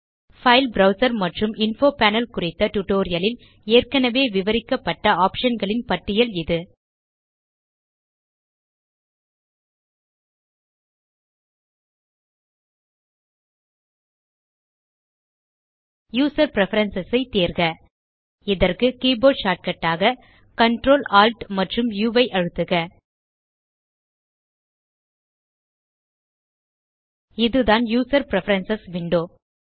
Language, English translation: Tamil, Here is a list of options which have been explained already in the tutorial File Browser and Info Panel Select User Preferences For keyboard shortcut, press Ctrl, Alt U This is User Preferences window